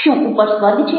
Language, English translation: Gujarati, is there heaven up there